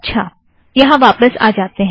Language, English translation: Hindi, Okay lets come back here